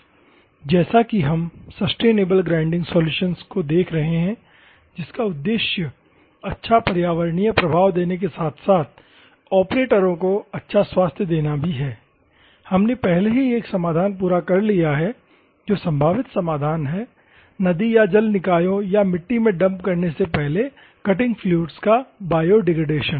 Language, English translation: Hindi, So, as we are looking at the sustainable grinding solutions in order to give the good environmental effect as well as, to give good health to the operators, we have already completed one solution that is the probable solution is biodegradation of cutting fluids before it is dumping in to the river body or the soil bodies and other things